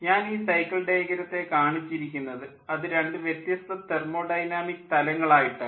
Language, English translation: Malayalam, i have shown the cycle diagram in ah, two different thermodynamic plane